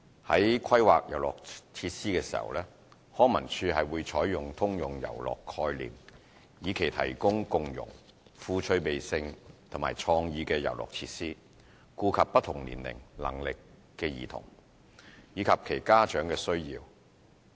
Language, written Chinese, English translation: Cantonese, 在規劃遊樂設施時，康文署採用"通用遊樂"概念，以期提供共融、富趣味性和創意的遊樂設施，顧及不同年齡、能力的兒童，以及其家長的需要。, A universal play concept is adopted by LCSD in planning for play equipment with a view to providing inclusive interesting and innovative play equipment to cater for the needs of children of different ages and abilities and their parents